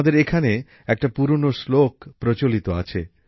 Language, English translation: Bengali, We have a very old verse here